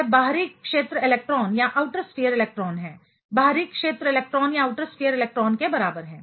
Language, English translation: Hindi, They are the outer sphere electrons, comparable to outer sphere electron